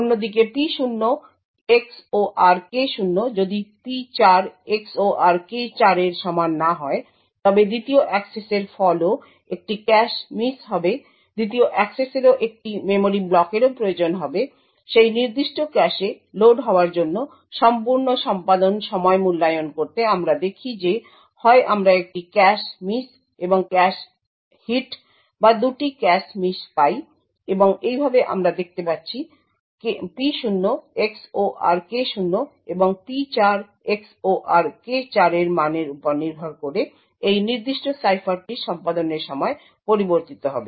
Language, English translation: Bengali, On the other hand if P0 XOR K0 is not equal to P4 XOR K4 then the second access would also result in a cache miss second access would also require a memory block to be loaded into that particular cache, to evaluate the entire execution time we see that we either get one cache miss and one cache hit or two cache misses